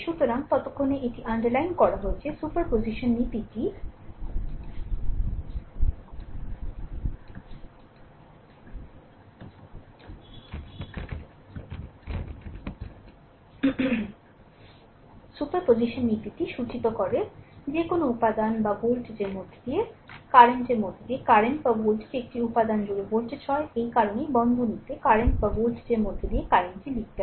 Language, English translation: Bengali, So, the then I have underlined it, the superposition principle states that the current through or voltage across current through an element or voltage across an element, that is why in the bracket, I have write down I current through or voltage across right